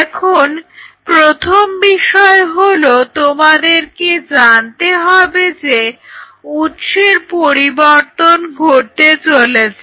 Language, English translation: Bengali, So, the first thing is you have to now your source is going to change